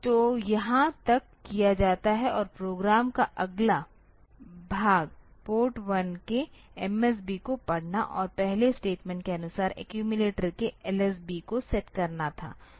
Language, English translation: Hindi, So, up to this much is done and the next part of the program was to read the MSB of Port 1 and set LSB of accumulator accordingly the first statement